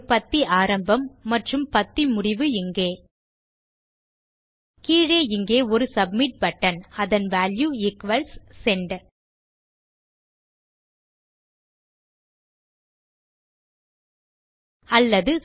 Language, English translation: Tamil, We put a paragraph beginning and a paragraph ending here And down here we will create a submit button whose value equals Send Or...